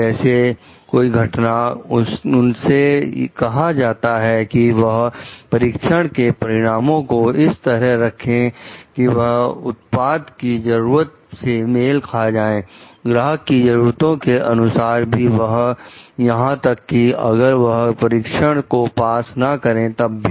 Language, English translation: Hindi, Like event, like they were asked to adjust test results so that they it meets, like the product needs the customer specification so, even if they have not like actually passed the test